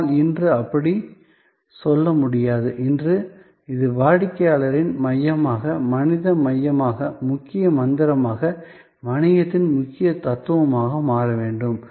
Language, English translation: Tamil, But, today that is not a say so, today it has to become this customer's centricity, humans centricity as to become the key mantra, as to become the core philosophy of business